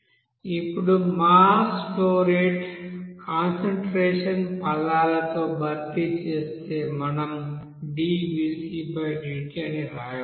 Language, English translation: Telugu, Now replacing mass flow rate, in terms of concentration we can write d/dt